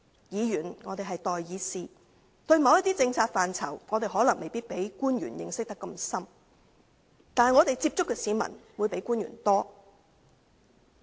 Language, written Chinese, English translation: Cantonese, 議員是代議士，對某些政策範疇，我們可能不如官員的認識那麼深，但我們接觸的市民比官員多。, Members are the peoples representatives . Our knowledge of certain policy areas may not be as rich as that of the officials but we have contact with more members of the public than they do